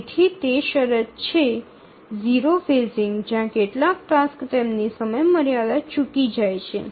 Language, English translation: Gujarati, And therefore that is the condition, zero phasing where some tasks are likely to miss their deadline